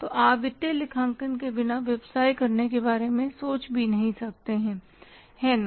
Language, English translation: Hindi, So financial accounting you can't think of doing business without financial accounting